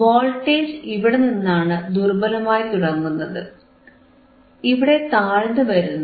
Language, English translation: Malayalam, So, voltage starts attenuating where from here actually right and then it comes down here